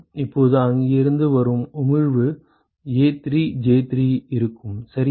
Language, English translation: Tamil, Now the emission from here will be A3J3 right